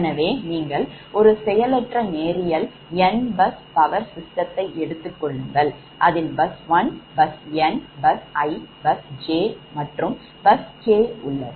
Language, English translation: Tamil, you take a passive linear n bus power system network, right, you have bus one bus, n bus, i bus, j and k bus is a new bus and r is the reference bus